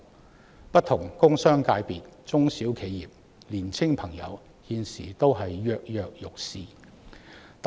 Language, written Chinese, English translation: Cantonese, 就此，不同工商界別、中小企業及青年人現時都躍躍欲試。, To this end various industrial and commercial sectors SMEs and young people are all anxious to try their chances